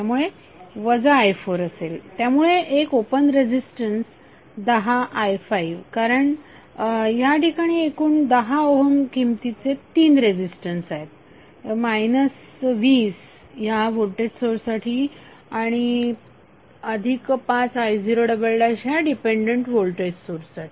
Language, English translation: Marathi, So minus i4 would because of this one open resistance 10i5 because there are 3 resistance of total value of 10 Ohm minus 20 for this voltage source and plus 5 i0 double dash for this dependent voltage source